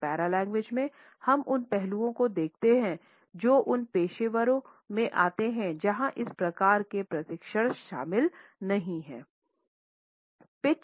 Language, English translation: Hindi, But in paralanguage we look at those aspects of language which we come across in those professionals where this type of training is not included